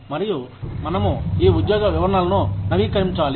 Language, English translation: Telugu, And, we need to keep these job descriptions, updated